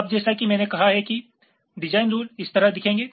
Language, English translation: Hindi, so design rules actually will be looking at this